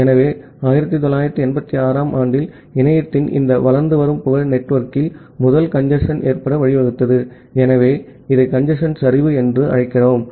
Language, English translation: Tamil, So, in 1986, this growing popularity of internet it led to the first occurrence of congestion in the network, so we call it as the congestion collapse